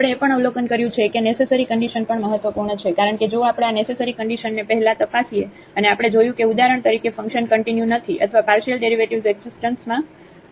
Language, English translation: Gujarati, We have also observed that the necessary conditions are also important because if we check these necessary conditions first and we observe that for example, the function is not continuous or the partial derivatives do not exist